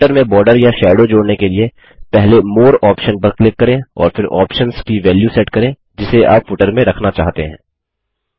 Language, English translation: Hindi, To add a border or a shadow to the footer, click on the More option first and then set the value of the options you want to put into the footer